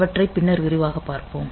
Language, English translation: Tamil, So, we will see them in detail later